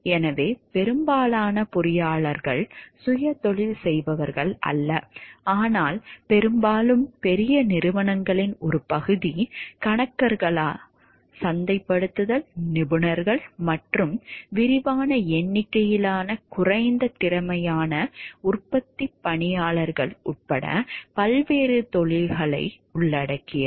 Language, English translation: Tamil, So, most engineers are not self employed, but most often there is part of a larger companies involving, many different occupations including accountants, marketing specialists and extensive numbers of less skilled manufacturing employees